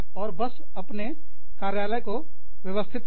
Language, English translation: Hindi, And, just organize your office